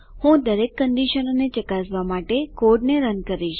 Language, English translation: Gujarati, I will run the code to check all the conditions